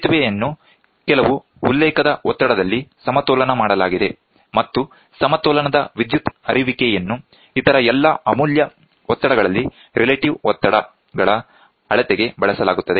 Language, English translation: Kannada, The bridge is balanced at some reference pressure, and the out of balance current are used at all the other precious as the measurement of relative pressures